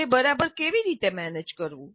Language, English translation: Gujarati, How exactly to manage that